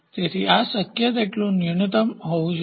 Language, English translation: Gujarati, So, this should be as minimum as possible